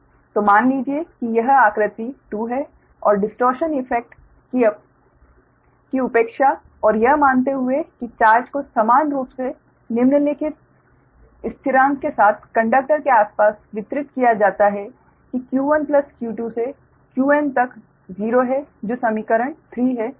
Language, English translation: Hindi, suppose that neglecting the, neglecting the distortion effect and assuming that charge is uniformly distributed around the conductor, with the following constants: that q one to q two up to q n is zero, that is equation three